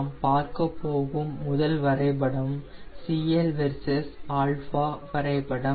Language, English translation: Tamil, the first graph which we will be looking is cl versus alpha graph